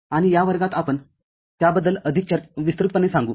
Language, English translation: Marathi, And in this class we shall elaborate more on that